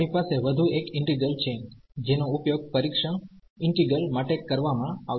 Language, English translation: Gujarati, We have one more integral which will be used for the test integral